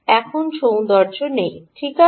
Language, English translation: Bengali, now, the beauty is not there